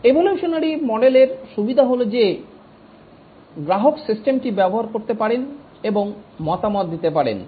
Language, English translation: Bengali, Evolutionary model has the advantage that the customer can use the system and give feedback